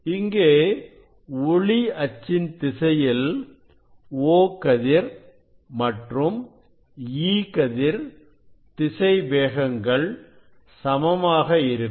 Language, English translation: Tamil, then this velocity of E ray is along the x and y direction is less than the O ray